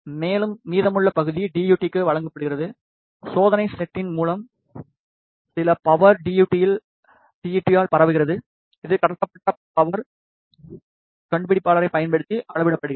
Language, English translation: Tamil, And, the rest of the part is given to the DUT, through test set some of the power gets transmitted by the DUT, which is measured using transmitted power detector